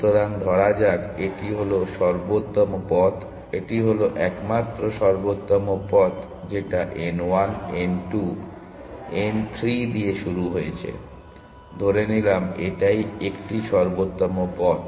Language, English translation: Bengali, So, let us say this is the optimal path, this is the optimal path, let us say there is only One optimal path to start with n 1, n 2, n 3, let us say this is the optimal path